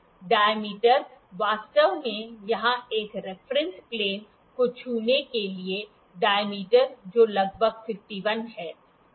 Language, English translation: Hindi, The dia actually it has to touch a reference plane here, the dia is about, the dia is about 51